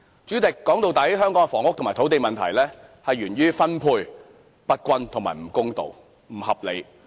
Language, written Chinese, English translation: Cantonese, 主席，說到底，香港的房屋和土地問題源於分配不均、不公道、不合理。, President after all the housing and land problems of Hong Kong are attributed to uneven unfair and unreasonable distribution